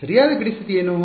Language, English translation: Kannada, What is the correct boundary condition